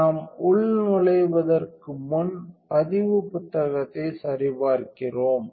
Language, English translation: Tamil, So, before we log in we check the logbook